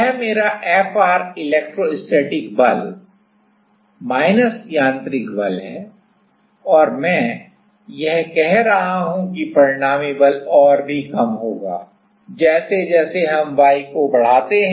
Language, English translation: Hindi, So, this is my Fr electrostatic force minus mechanical force and what I am saying that the resultant force will even go down right as we an increasing the y